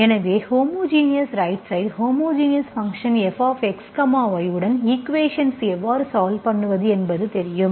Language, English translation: Tamil, So you know the method how to solve the equation with homogeneous right hand side, homogeneous function f of X, Y